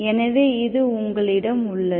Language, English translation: Tamil, So this is what you have